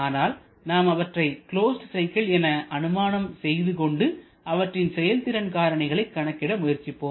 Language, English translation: Tamil, But we shall be considering them in more closed cycle mode and trying to get their performance parameters